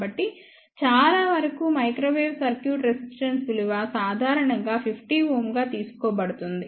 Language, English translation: Telugu, So, for most of the microwave circuit resistance value is typically taken as 50 ohm